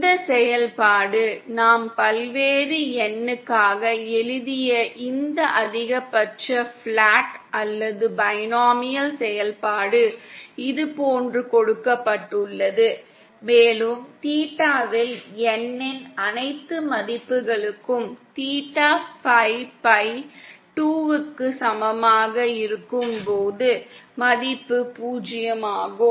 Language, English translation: Tamil, This function this maximally flat or binomial function that we just wrote for various of N is given like this and we see that for all values of N at theta is equal to 5 by 2, the value is zero